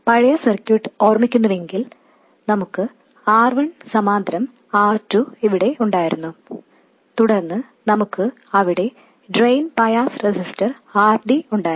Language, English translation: Malayalam, If you recall the old circuit, we had R1 parallel R2 over here, and then we had the drain bias resistor RD over there